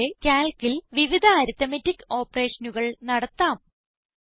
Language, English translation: Malayalam, Similarly, we can perform various arithmetic operations in Calc